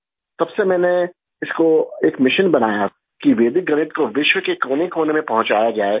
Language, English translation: Hindi, Since then I made it a mission to take Vedic Mathematics to every nook and corner of the world